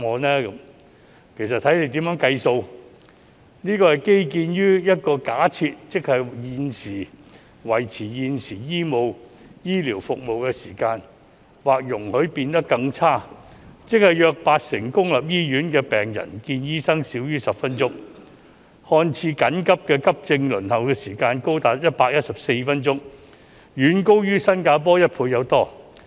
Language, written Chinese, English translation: Cantonese, 其實這便要視乎當局怎樣計算，這個數字是建基於一個假設，即維持現時醫療服務的時間或容許變得更差，即約八成公立醫院的病人見醫生少於10分鐘，次緊急的急症輪候時間高達114分鐘，遠高於新加坡一倍以上。, In fact it depends on how the Administration does the calculation . This figure is based on the assumption that the current waiting time for healthcare services will remain the same or be allowed to get worse that is the consultation time for about 80 % of public hospital patients will last less than 10 minutes and the waiting time for semi - urgent patients will be as long as 114 minutes which is more than double of that in Singapore